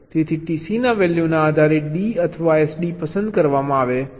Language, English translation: Gujarati, so, depending on the value of t c, either d or s d is selected